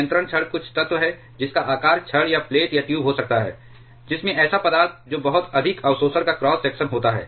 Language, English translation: Hindi, Control rods are some elements which can be of the shape of rods or plates or tubes which contains materials which has very high absorption cross section